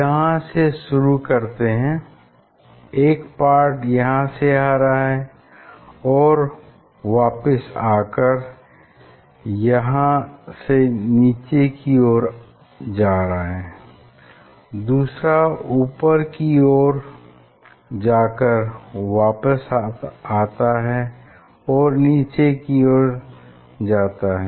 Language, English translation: Hindi, starting from here, one is going and coming back from here downwards, another is going here coming back and downwards